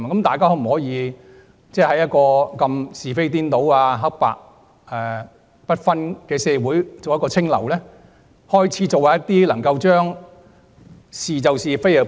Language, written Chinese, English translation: Cantonese, 大家可否在一個是非顛倒、黑白不分的社會中做一股清流，是其是，非其非？, Can we be above politics and call a spade a spade in a society where people confound right and wrong and cannot tell black from white? . We should approve what is right and condemn what is wrong